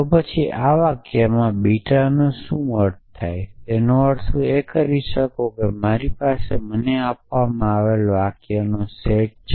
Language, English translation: Gujarati, Then we can add in sentence beta what do I mean by this that if I have a set of sentences given to me to set of premises